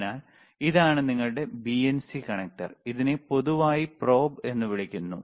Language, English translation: Malayalam, So, this is your BNC connector is called BNC connector, it is also called probe in general,